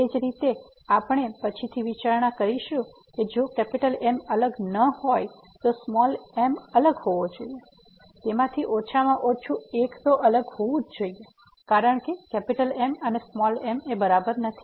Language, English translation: Gujarati, Similarly we will consider later on if is not different then the small should be different at least one of them will be different because is not equal to small